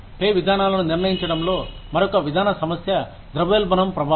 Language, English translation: Telugu, Another policy issue, in determining pay systems, is the effect of inflation